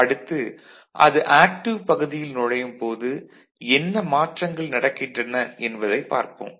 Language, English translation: Tamil, Next, we shall see what happens when it enters into active region ok